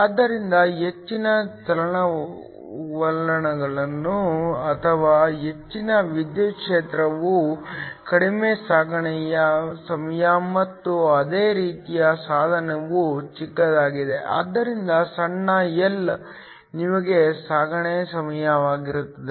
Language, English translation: Kannada, So, higher the mobilities or higher the electric field shorter is the transit time and similarly smaller the device, so smaller L shorter will be your transit times